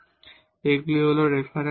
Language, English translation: Bengali, So, these are the references